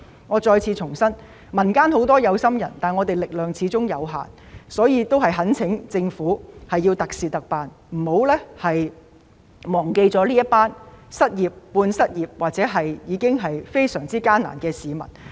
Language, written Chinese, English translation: Cantonese, 我再次重申，民間有很多有心人，但我們的力量始終有限，所以我懇請政府特事特辦，不要忘記這些失業、半失業或生活已經非常艱難的市民。, I reiterate again that there are many caring people in the community but our strength is after all limited . Hence I urge the Government to make special arrangements for special circumstances taking into consideration the plight of those who are unemployed half - unemployed or those who are leading a difficult life